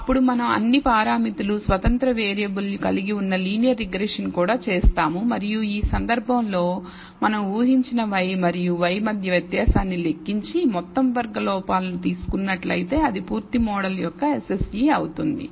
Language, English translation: Telugu, Then we will also perform a linear regression containing all the parameters, independent variables, and in this case we will if we compute the difference between y and y predicted and take the sum squared errors that is the SSE of the full model